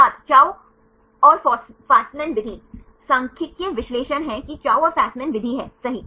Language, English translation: Hindi, Chou Fasman method Statistical analysis that is Chou and Fasman method, right